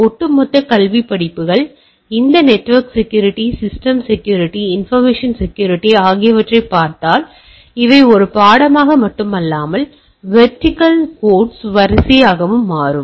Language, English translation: Tamil, If you look at the overall academic courses, this network security, computer security, information security, these are becoming a not only a subject a line of vertical quotes altogether